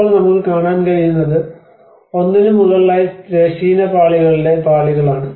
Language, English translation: Malayalam, \ \ \ Now, what we can see is the layers of the horizontal layers of one over the another